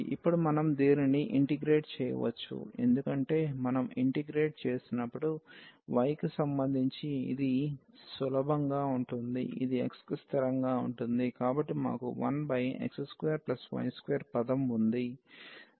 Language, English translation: Telugu, And now we can integrate this because with respect to y when we integrate, this is going to be easier we have this is x is constant